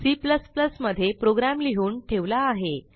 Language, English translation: Marathi, I have already made the code in C++